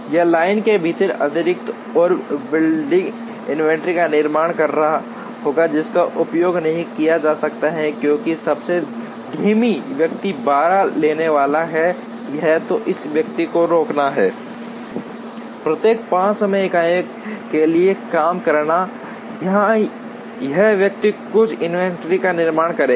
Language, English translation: Hindi, Or will be producing excess and building inventory within the line, which cannot be consumed, because the slowest person is going to take 12, either this person has to stop working for every 5 time units, or this person will end up building some inventory